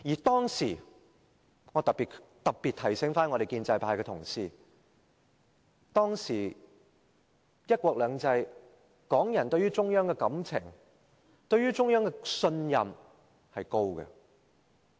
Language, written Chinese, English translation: Cantonese, 當時——特別提醒建制派的同事——在"一國兩制"之下，港人對中央的感情和信任是高的。, In those years―let me specifically remind pro - establishment Members―Hong Kong people had deep affection for and high confidence in the Central Authorities under one country two systems